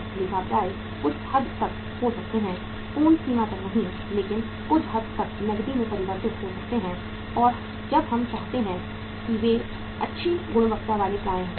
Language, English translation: Hindi, Accounts receivables can be to some extent, not to the fullest extent but to some extent can be converted into cash as and when we want it if they are good quality receivables